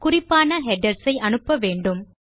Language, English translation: Tamil, We need to send to specific headers